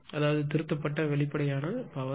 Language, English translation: Tamil, So that means, corrected apparent power is 7397